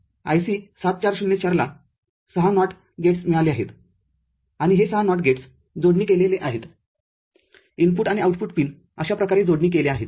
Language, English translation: Marathi, So, IC 7404 has got 6 NOT gates and these 6 NOT gates are connected the input and output pins are connected like this